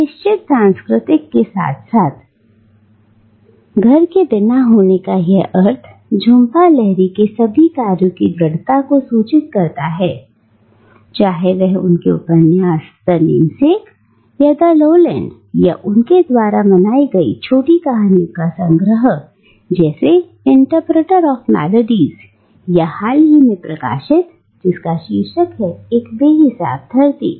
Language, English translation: Hindi, Now, this sense of being without a fixed cultural as well as spatial home strongly informs all of Jhumpa Lahiri’s works, be it her novels like The Namesake or The Lowland or her celebrated collection of short stories like Interpreter Of Maladies or the more recent one titled Unaccustomed Earth